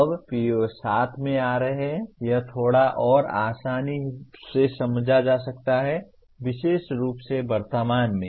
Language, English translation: Hindi, Now coming to PO7, this is a little more easily understandable; particularly at present